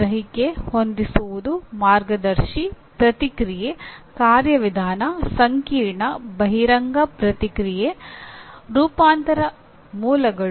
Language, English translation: Kannada, Perception, set, guided response, mechanism, complex overt response, adaptation, originations